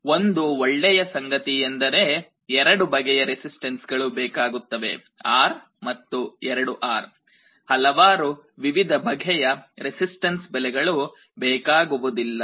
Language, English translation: Kannada, But the good thing is that the values of the resistances are only of 2 types, R and 2 R, you do not need to use many different values of the resistances